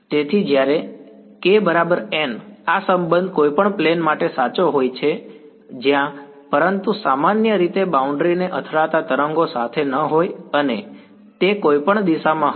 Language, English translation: Gujarati, So, when k hat is equal to n hat this relation is true for any plane where, but in general the waves hitting the boundary are not going to be along n hat they will be along any direction